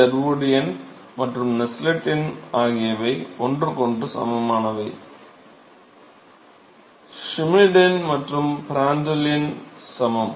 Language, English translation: Tamil, So, Sherwood number and Nusselt number are equivalent to each other, Schmidt number and Prandtl number are equal, right